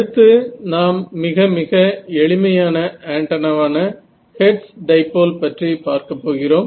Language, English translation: Tamil, So, we will have a look at this simplest antenna which is your Hertz dipole ok